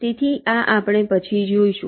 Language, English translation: Gujarati, so we shall see this later